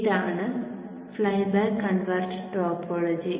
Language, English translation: Malayalam, This is the flyback converter topology